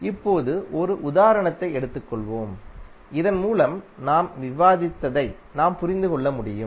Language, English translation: Tamil, Now, let us take one example so that you can understand what we discuss till now